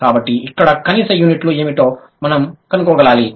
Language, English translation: Telugu, So, we have to find out what are the minimal units here